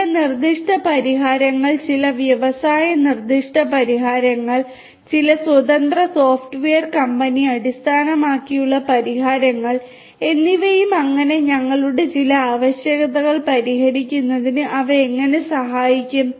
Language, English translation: Malayalam, We have looked at certain specific solutions that are there some industry specific solutions, some software you know independent software company based solutions and so and how they can help in addressing some of our requirements